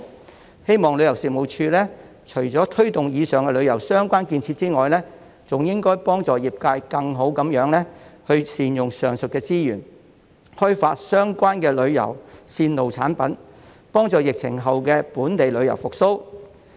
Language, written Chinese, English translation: Cantonese, 我希望旅遊事務署除了推動以上旅遊相關建設外，還應幫助業界更好地善用上述資源，開發相關旅遊線路產品，以助疫情後的本地旅遊復蘇。, Apart from promoting the above tourism - related proposals I hope the Tourism Commission would also help the industry make better use of the said resources for developing relevant tour route products which will be conducive to the recovery of local tourism after the epidemic